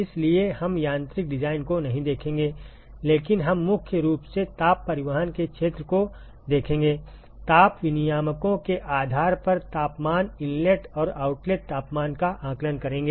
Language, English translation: Hindi, So, we will not look at the mechanical design, but we will primarily look at the area of heat transport, estimating the temperatures – inlet and outlet temperatures, depending upon the heat exchangers